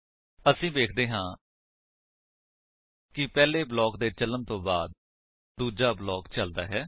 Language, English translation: Punjabi, we see that after the first block is executed, the second is executed